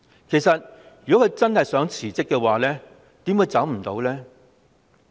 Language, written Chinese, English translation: Cantonese, 其實如果她真心想辭職，怎會辭不了？, Actually if she really wants to resign how come she cannot do so?